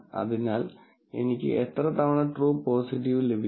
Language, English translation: Malayalam, How many of them were actually true positive